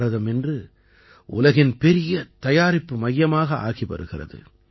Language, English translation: Tamil, Today India is becoming the world's biggest manufacturing hub